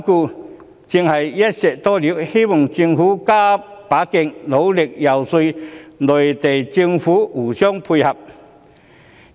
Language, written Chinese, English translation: Cantonese, 這正是"一箭多鵰"，因此我希望政府加把勁，努力遊說內地政府互相配合。, Hence I hope the Government can put in more efforts to lobby the Mainland Government to work in coordination